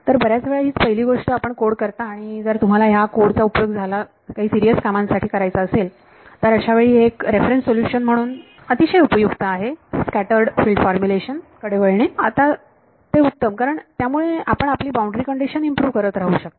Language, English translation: Marathi, So, many many times that is the first thing you would code and that is useful like as a reference solution then if you want to actually use your code for some serious work it is better to switch to scattered field formulation because then you can keep improving your boundary condition right